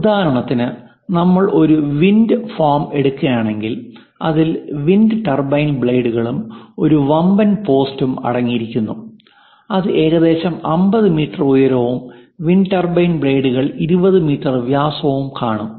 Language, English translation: Malayalam, For example, if we are taking a wind farm, it contains wind turbine blades and a post massive post which might be some 50 meters height, some 20 meters diameter of these wind turbine blades, and a wind farm consists of many wind turbines